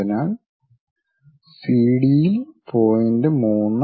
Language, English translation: Malayalam, So, CD the point is 3